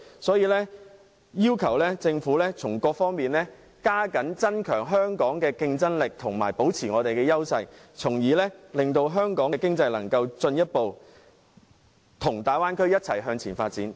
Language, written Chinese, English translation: Cantonese, 所以，我要求政府從各方面提升香港的競爭力，保持香港的優勢，令香港的經濟與大灣區一起向前發展。, Therefore I urge the Government to enhance Hong Kongs competitiveness on various fronts in order to maintain Hong Kongs edges so that our economy can advance together with the Bay Area